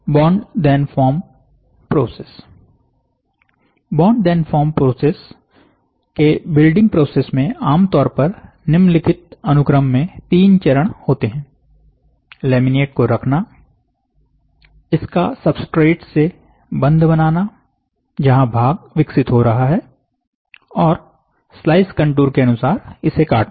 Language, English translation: Hindi, So, bond and then form process, in bond then form process, the building process typically consists of three steps in the following sequence: placing the laminate, bonding it to the substrate where the part is getting developed and cutting it according to the slice contour